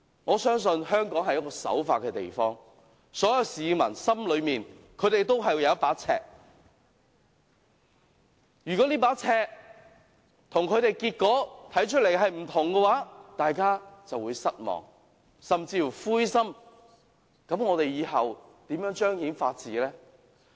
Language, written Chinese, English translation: Cantonese, 我相信香港是個人人守法的地方，所有市民心裏都有一把尺，如果這把尺跟結果看起來不同，大家便會失望，甚至灰心，那麼我們以後如何相信法治？, I trust that people in Hong Kong are law - abiding and they all have a yardstick in their mind . If the results turn out to be different from that measured by their yardstick they will be disappointed and even frustrated . In that event how can we trust the rule of law in future?